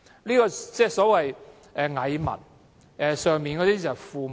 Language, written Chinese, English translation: Cantonese, 這是所謂"蟻民"與父母官的關係。, Such a relationship is one between the petty masses and parental officials